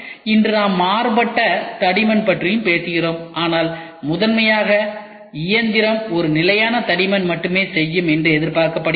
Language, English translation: Tamil, Today we also talk about variable thickness, but primarily the machine is expected to do a standard thickness only